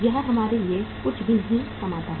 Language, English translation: Hindi, It does not earn anything for us